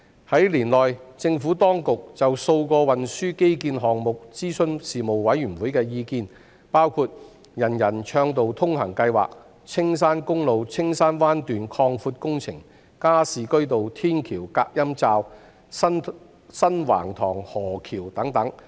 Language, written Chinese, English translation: Cantonese, 在年內，政府當局就數個運輸基建項目諮詢事務委員會的意見，包括"人人暢道通行"計劃、青山公路青山灣段擴闊工程、加士居道天橋隔音罩、新橫塘河橋等。, During the year the Administration had consulted the Panel on a number of transport infrastructure projects including the Universal Accessibility Programme the widening of Castle Peak Road―Castle Peak Bay the noise enclosures at Gascoigne Road Flyover the New Wang Tong River Bridge etc